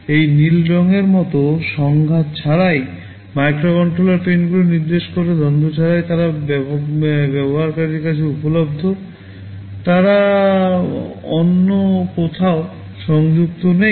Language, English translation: Bengali, Like this blue color indicates the microcontroller pins without conflict; without conflict means they are available to the user, they are not connected anywhere else